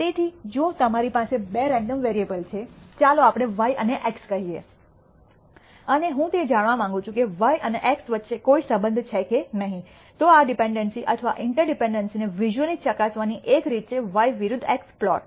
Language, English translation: Gujarati, So, if you have two random variables, let us say y and x and I want to know whether there is any relationship between y and x, then one way of visually verifying this dependency or interdependency is to plot y versus x